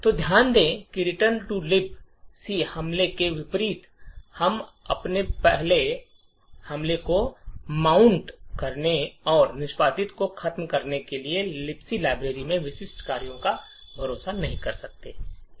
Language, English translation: Hindi, So, note that unlike the return to libc attack we are not relying on specific functions in the libc library to mount our attack and to subvert execution